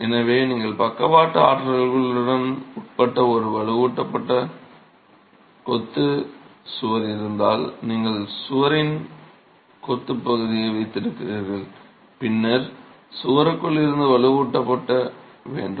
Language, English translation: Tamil, So, if you have a reinforced masonry wall subjected to lateral forces, you have the masonry part of the wall and then you have the reinforcement sitting within the wall